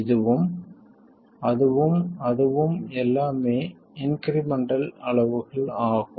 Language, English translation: Tamil, This and that and that, all are incremental quantities